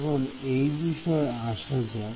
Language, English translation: Bengali, Now, let us come to that